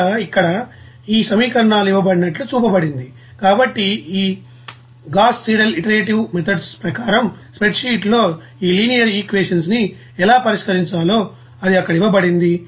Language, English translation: Telugu, So as per this here it is shown that here these equations are given, so as per this Gauss Seidel iterative method how to solve this linear equation in a spreadsheet it is given there